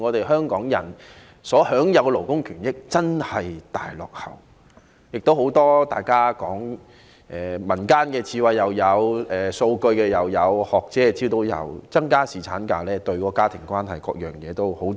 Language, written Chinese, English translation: Cantonese, 香港人所享有的勞工權益真的大大落後於其他地方，大家提及了很多民間智慧、數據及學者提供的資料，說增加侍產假對家庭關係等方面帶來好處。, The labour rights and interests enjoyed by Hong Kong people lag far behind other places . Members have mentioned a lot of folk wisdom data and information provided by academics to support the view that increasing paternity leave will benefit family relationship and so on